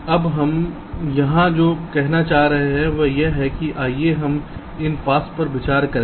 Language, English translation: Hindi, what we are trying to say here is that lets consider these paths